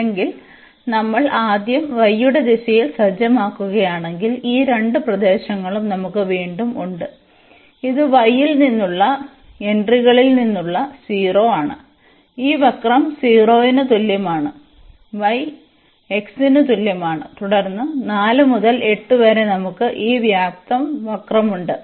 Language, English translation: Malayalam, Or, if we set in the direction of a y first; so, we have again these two regions one is this one which is from the entries from y is equal to 0 to this curve which is given by y is equal to x and then from 4 to 8 we have this different curve